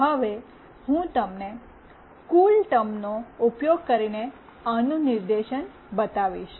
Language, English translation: Gujarati, Now I will be showing you the demonstration of this using CoolTerm